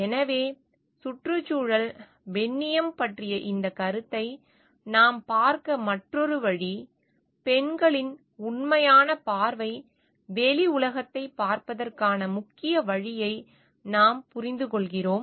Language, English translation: Tamil, So, that is another way we can look into this concept of ecofeminism; where we understand the major way the real view of women to look to the outside world is through the caring perspective